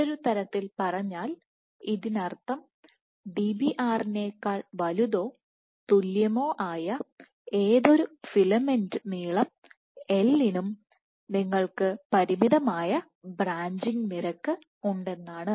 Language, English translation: Malayalam, So, in other words this is the minimum distance which means that for any filament length L greater than Dbr or greater equal to Dbr, you have a finite probability of or you have a finite branching rate